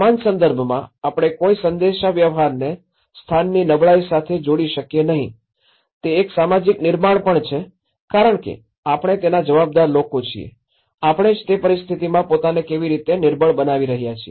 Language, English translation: Gujarati, On the similar context, can we not link the dialogue of can the vulnerability of a place is also a social construct because we are the responsible people, how we are making ourself vulnerable in that particular situation